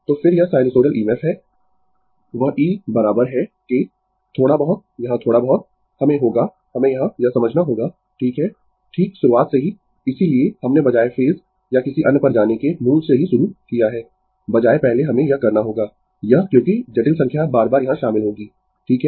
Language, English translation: Hindi, So, then this is the sinusoidal EMF that E is equal to your little bit here little bit, we have to we have to understand here right, right from the beginning that is why we have started from the scratch rather than going to the phase or another first we have to this because complex number will be involved again and again here, right